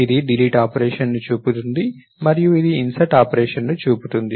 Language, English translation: Telugu, So, this shows the deletion operation and this shows the insertion operation